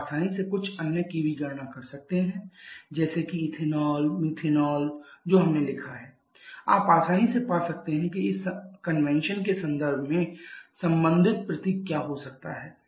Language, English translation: Hindi, You can easily calculate I asked you to calculate for a few others like say the ethanol methane that we have written you can easily find what can be the corresponding symbol in terms of this convention